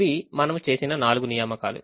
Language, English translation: Telugu, these are the four assignments that we have made